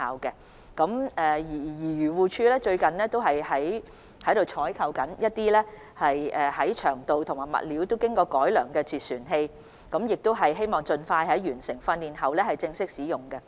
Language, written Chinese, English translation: Cantonese, 漁護署最近正採購長度和物料均經過改良的截船器，希望完成執法人員訓練後盡快正式使用。, AFCD has recently procured vessel arrest systems of enhanced length and materials hoping that they will be officially put to use soon after enforcement officers have completed the training